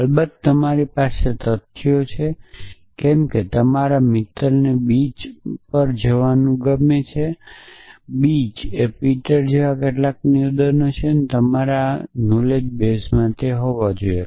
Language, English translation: Gujarati, off course, you have the facts like whether your friend f likes going to the beach some statement like beach Peter it must be present in your in your knowledge base